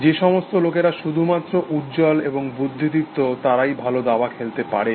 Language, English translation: Bengali, It is only the bright, and the intelligent people who could play good chess